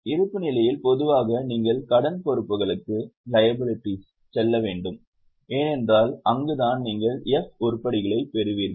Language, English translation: Tamil, Okay, balance sheet normally you have to go to liabilities because that is where you will get F items